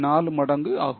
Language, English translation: Tamil, 4 that means 1